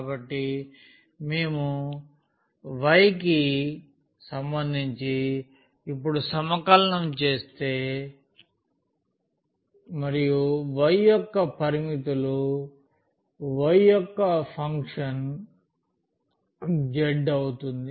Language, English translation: Telugu, So, we are integrating now with respect to y and the limits of the y can be the function of z can be the function of z